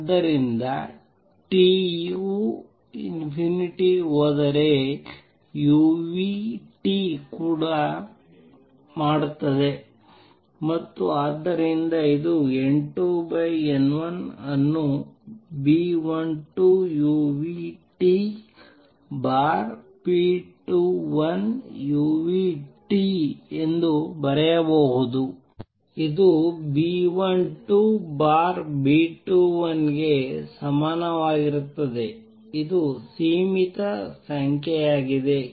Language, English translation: Kannada, So, if t goes to infinity, so does u nu T and therefore, this implies N 2 over N 1 can be written as B 12 u nu T divided by B 21 u nu T which is equal to B 12 over B 2 1 which is the finite number